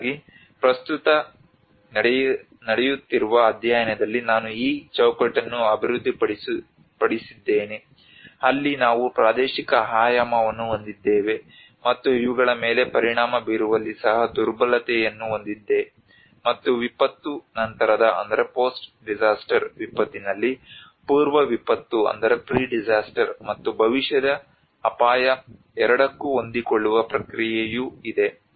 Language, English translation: Kannada, So it is where in my current ongoing study I developed this framework where we have the spatial dimension and which has also the vulnerability in impacting on these, and there is also the adaptation process both pre disaster in disaster post disaster and the future risk which has a short term and medium term of single and multiple disasters